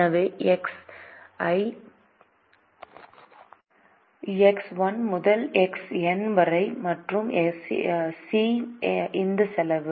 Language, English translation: Tamil, so x, one to x, n and c is this cost